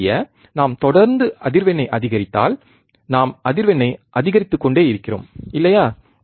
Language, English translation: Tamil, To to know that, we will if we keep on increasing the frequency, we keep on increasing the frequency, right